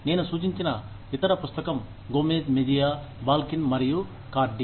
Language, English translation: Telugu, The other book, that I have refer to is, by Gomez Mejia, Balkin and Cardy